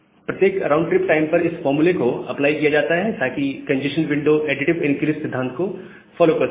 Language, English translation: Hindi, So, this formula is applied at every round trip time to have the congestion window follow additive increase principle